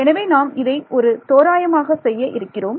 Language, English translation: Tamil, So, this is what we are going to roughly do